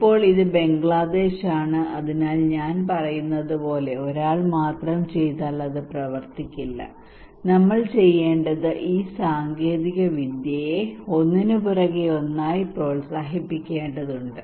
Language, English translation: Malayalam, Now this is Bangladesh, so if only one person is doing as I am saying it would not work, what we need to do is that we need to promote this technology one after another